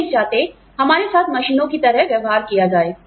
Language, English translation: Hindi, We do not want to be treated, like machines